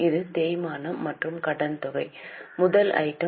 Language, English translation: Tamil, This is the depreciation and amortization is a first item